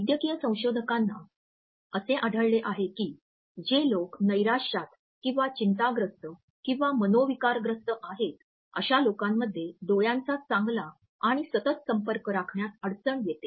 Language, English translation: Marathi, Medical researchers have found that amongst people who are depressed or anxious or psychotic, there is a difficulty in maintaining a good and frequent eye contact